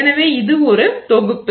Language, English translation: Tamil, So, this is one set